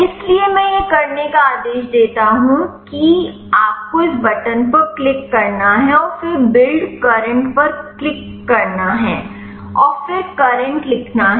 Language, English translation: Hindi, So, I order to do that you have to click this button and then click build current, and then write current